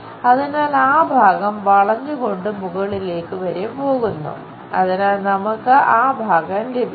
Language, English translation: Malayalam, So, that portion comes curve and goes all the way up; so, we have that portion